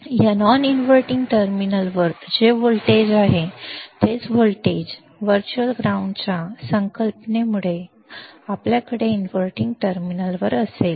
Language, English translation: Marathi, Whatever voltage is at this non inverting terminal, same voltage, we will have at the inverting terminal because of the concept of virtual ground